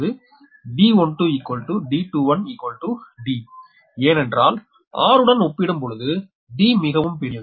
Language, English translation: Tamil, one is equal to d because compared to r, d is very large